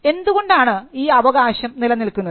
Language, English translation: Malayalam, Now, why does this right exist